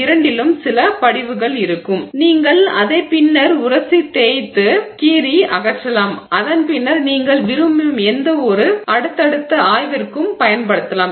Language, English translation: Tamil, In either case you will have some deposit there which later you can then know scrape, remove and then use for any subsequent study that you want